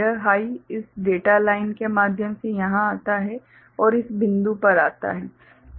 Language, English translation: Hindi, So, this high comes over here through this data line and comes to this point